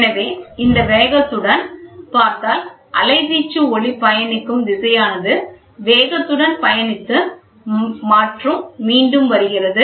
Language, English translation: Tamil, So, we see the velocity with which the amplitude travels the velocity with which the sound travels and comes back